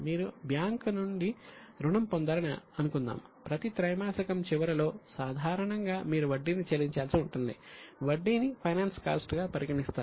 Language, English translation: Telugu, Suppose you have obtained loan from the bank at the end of every quarter normally you will have to pay interest